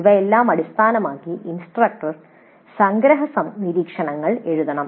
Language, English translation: Malayalam, Based on all these the instructor must write the summary observations